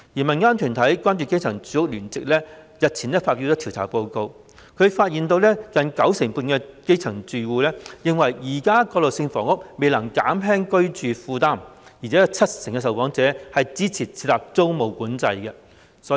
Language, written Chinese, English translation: Cantonese, 民間團體關注基層住屋聯席日前發表調查報告，發現近九成半基層住戶認為現時的過渡性房屋未能減輕居住負擔，而且有七成受訪者支持設立租務管制。, The Concerning Grassroots Housing Rights Alliance a community group released an investigation report a few days ago revealing that nearly 95 % of the grass - roots households believe that the transitional housing currently implemented cannot alleviate their housing burden and 70 % of the respondents support the introduction of tenancy control